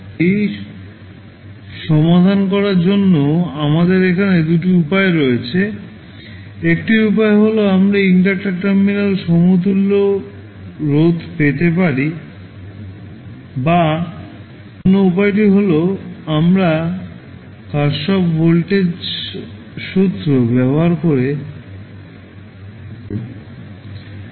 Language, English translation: Bengali, Now, here we have two ways to solve this problem, one way is that we can obtain the equivalent resistance of the inductor terminal, or other way is that, we start from scratch using Kirchhoff voltage law